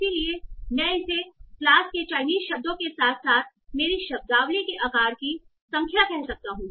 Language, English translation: Hindi, So, so I can call it the number of words in class Chinese plus my vocabulary size